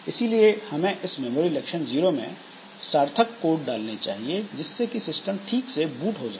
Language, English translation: Hindi, So, from memory location 0, we should put the appropriate code so that this system boots properly